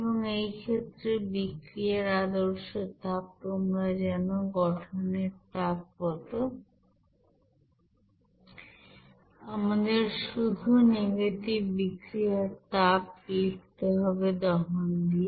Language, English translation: Bengali, And but standard heat of reaction in that case in case of you know that formation, we have to write it in just negative of this heat of reaction by combustion here